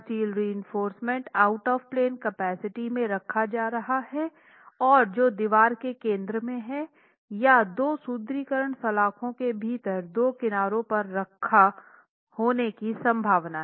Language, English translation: Hindi, Is the steel reinforcement going to be placed for out of plane moment capacity in the center of the wall along the thickness or is there a possibility of having two reinforcement bars placed at the farthest edges within the cavity